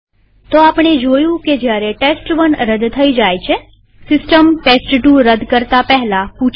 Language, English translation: Gujarati, So we saw that while test1 was silently deleted, system asked before deleting test2